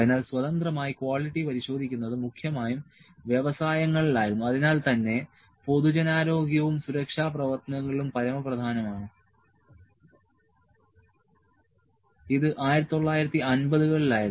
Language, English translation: Malayalam, So, the drivers of independent verification of quality were primarily industries in which public health and safety work paramount so, this was in 1950s